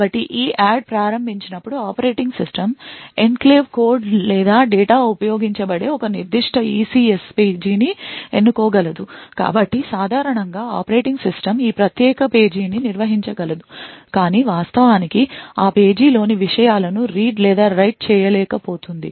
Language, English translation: Telugu, So as before when EADD is invoked the operating system would is capable of selecting a particular ECS page where the enclave code or data is used, so typically the operating system would be able to manage this particular page but would not be able to actually read or write the contents of that page